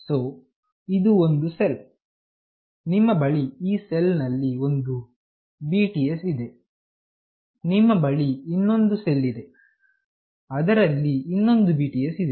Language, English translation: Kannada, So, this is one cell you have one BTS in this cell, you have another cell where you have one more BTS